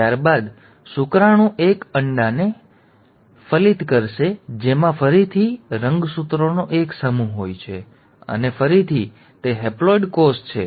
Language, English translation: Gujarati, The sperm will then end up fertilizing an egg which again has a single set of chromosomes, and again it is a haploid cell